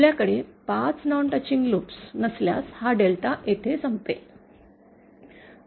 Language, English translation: Marathi, If we do not have 5 non touching loops, then this delta will end here